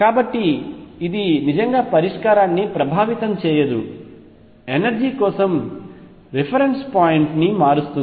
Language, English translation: Telugu, So, it does not really affect the solution all is does is changes a reference point for the energy